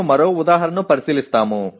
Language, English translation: Telugu, We will look at one more example